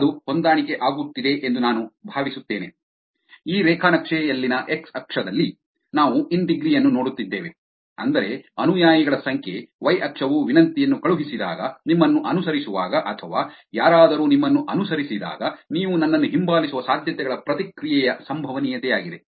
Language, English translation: Kannada, I hope that is sinking in, again let me reiterate the point which is, on the x axis in this graph we are seeing the in degree which is the number of followers, y axis is the probability of response when a request is sent for following or when somebody follows you, chances of you following me back